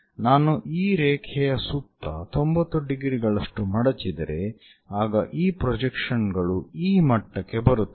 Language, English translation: Kannada, So, if I am making that fold by 90 degrees around this line, then this projection comes to this level